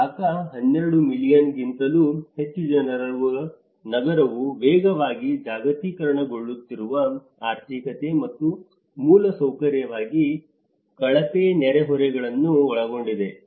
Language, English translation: Kannada, Dhaka, the city of more than 12 million people is encompassing both rapidly globalizing economy and infrastructurally poor neighbourhoods